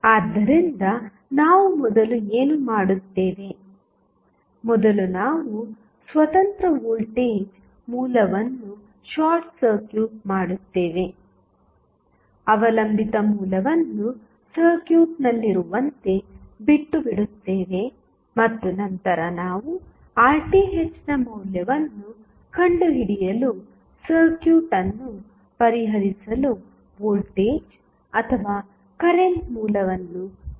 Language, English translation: Kannada, So, what we will do first, first we will short circuit the independent voltage source, leave the dependent source as it is in the circuit and then we connect the voltage or current source to solve the circuit to find the value of Rth